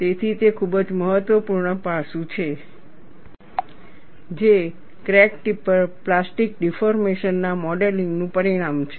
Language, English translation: Gujarati, So, that is a very important aspect, which is outcome of modeling of plastic deformation at the crack tip